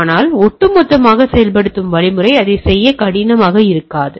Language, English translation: Tamil, But as such the overall implementing mechanism may not be that tough to do that, right